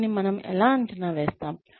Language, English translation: Telugu, How will we evaluate this